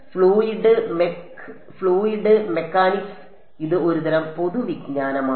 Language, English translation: Malayalam, So, fluid mech fluid mechanics this is just sort of general knowledge